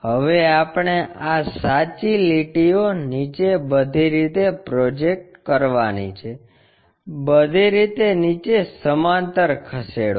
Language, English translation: Gujarati, Now, what we have to do is project these true lines all the way down, move parallel all the way down